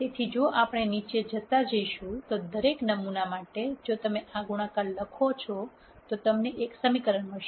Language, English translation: Gujarati, So, if we keep going down, for every sample if you write this product, you are going to get an equation